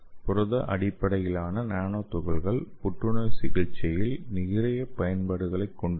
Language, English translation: Tamil, So that is why protein based nanoparticles have wide applications in anti cancer therapy